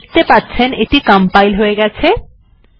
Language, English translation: Bengali, You can see it is compiling